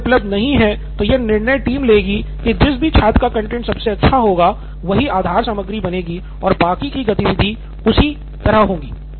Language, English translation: Hindi, If that is not available, then it would be based on the decision that team is taking as to whose content would be the best to be the base content and then the similar activity will happen on that